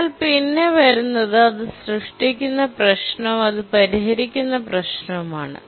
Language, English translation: Malayalam, But then let's look at the problem it creates and the problem it solves